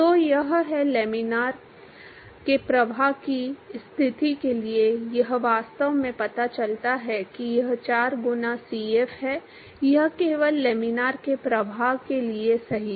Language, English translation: Hindi, So, this is, so for laminar flow conditions it actually turns out that it is 4 times Cf, it is only true for laminar flow